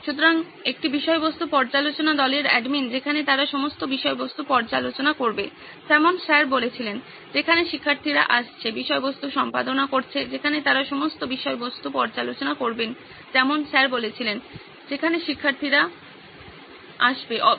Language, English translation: Bengali, So admin to a content review team where they will review all the content, like Sir said, where the students are coming, editing the content, where they will review all the content like Sir says, that where the students are coming, editing the content